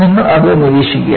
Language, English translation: Malayalam, You just observe it